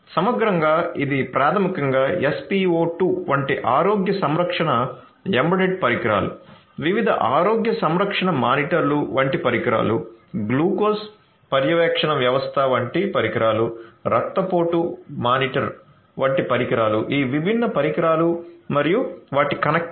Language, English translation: Telugu, So, holistically so these are basically the healthcare embedded devices such as SpO2, devices such as the different healthcare monitors, devices such as the glucose monitoring system, devices such as the blood pressure monitor like that all these different devices and their connectivity